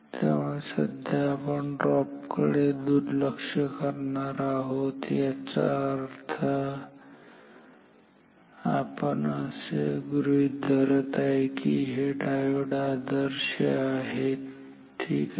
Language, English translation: Marathi, So, for most of our talk for most of our talk, we will ignore this drop or that means, we will assume that the diodes are ideal ok